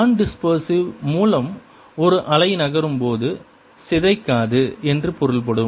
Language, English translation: Tamil, by non dispersive i mean a wave that does not distort as it moves